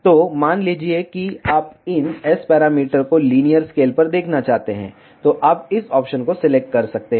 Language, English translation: Hindi, So, suppose if you want to see these S parameters in linear scale, you can select this option